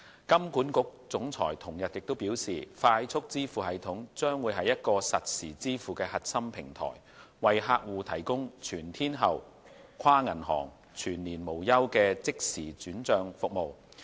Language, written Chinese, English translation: Cantonese, 金管局總裁同日表示，快速支付系統將是一個實時支付的核心平台，為客戶提供全天候、跨銀行、全年無休的即時轉帳服務。, The Chief Executive of HKMA said on the same day that FPS would be a core real - time payment platform providing customers with round - the - clock inter - bank all - year - round and real - time fund transfer services